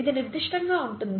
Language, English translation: Telugu, It can be that specific